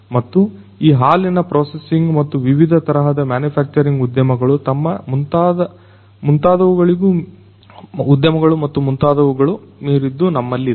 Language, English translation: Kannada, And, we have beyond this milk processing and different types of manufacturing industries and so on and so forth